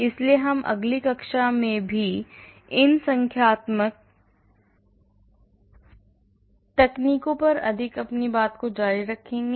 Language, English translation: Hindi, So, we will continue more on these numerical techniques in the next class also